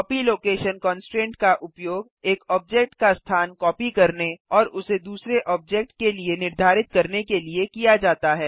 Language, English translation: Hindi, Copy location constraint is used to copy one objects location and set it to the other object